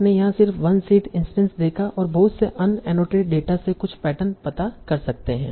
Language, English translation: Hindi, Just by using one seed instance and a lot of unattended data you can find out some patterns